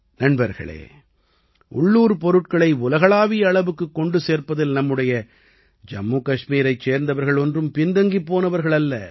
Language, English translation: Tamil, Friends, the people of Jammu and Kashmir are also not lagging behind in making local products global